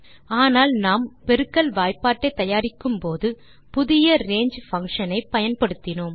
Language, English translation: Tamil, But while we were generating the multiplication table we used something new, range function